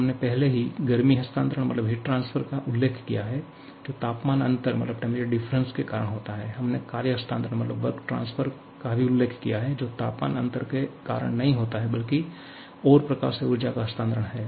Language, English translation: Hindi, We have already mentioned heat transfer which takes place because of temperature difference; we have also mention work transfer which is energy transfer because of not temperature difference but something else